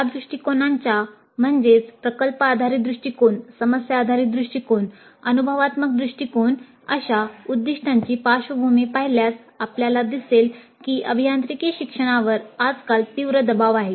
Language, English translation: Marathi, If you look at the background for the emergence of these approaches, product based approach, problem based approach, experiential approach, we see that the context is that the engineering education is under severe pressure these days